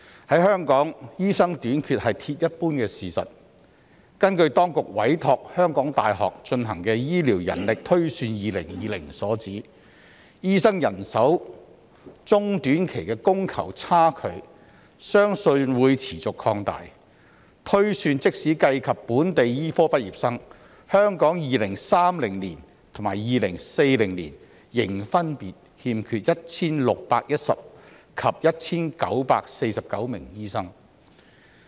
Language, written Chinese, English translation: Cantonese, 在香港，醫生短缺是鐵一般的事實，根據當局委託香港大學進行的《醫療人力推算2020》所指，醫生人手中短期的供求差距相信會持續擴大，推算即使計及本地醫科畢業生，香港在2030年及2040年，仍分別欠缺 1,610 名及 1,949 名醫生。, In Hong Kong the shortage of doctors is a hard fact . According to the Healthcare Manpower Projection 2020 which the University of Hong Kong has been commissioned to conduct it is believed that the gap between the supply and demand of doctors will continue to widen in the short to medium term; and even counting the projected number of local medical graduates there will still be a shortage of 1 610 and 1 949 doctors in 2030 and 2040 respectively in Hong Kong